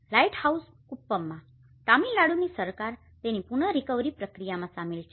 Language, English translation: Gujarati, In Lighthouse Kuppam, Tamil Nadu Government is involved in it in the recovery process